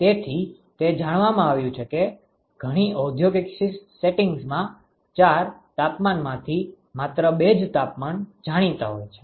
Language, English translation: Gujarati, So, it turns out that under many industrial settings only two of the of the ‘four’ temperatures may be known